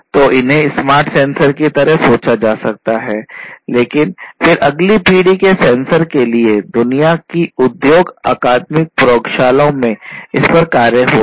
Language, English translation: Hindi, So, these can be thought of like smart sensors, but then for next generation sensors throughout the world industries academic labs and so, on